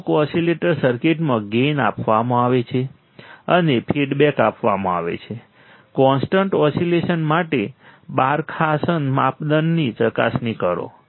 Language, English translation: Gujarati, In a certain oscillator circuit, the gain is given and the feedback is given, verify Barkhausen criterion for sustained oscillation